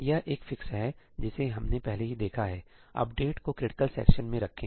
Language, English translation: Hindi, This is one fix that we have already seen put the update in the critical section